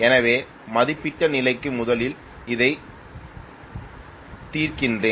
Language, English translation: Tamil, So let me first solve for it for rated condition